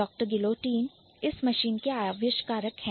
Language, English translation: Hindi, Gilotin is the inventor of this machine